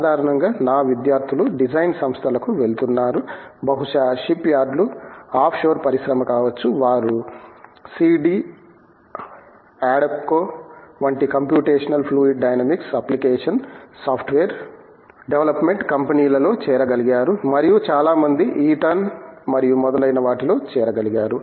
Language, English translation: Telugu, Typically, my students have been going to the design organizations, maybe shipyards, may be offshore industry, they have been able join the computational fluid dynamics application software development companies, such as CD adapco and so many others Eaton and so on